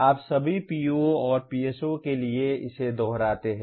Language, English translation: Hindi, You repeat this for all POs and PSOs